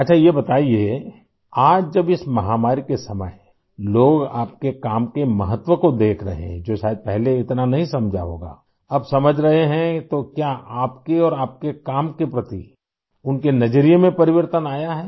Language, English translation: Hindi, Okay, tell us…today, during these pandemic times when people are noticing the importance of your work, which perhaps they didn't realise earlier…has it led to a change in the way they view you and your work